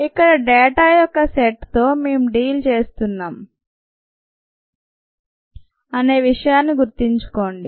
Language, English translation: Telugu, remember, we are dealing with a set of data here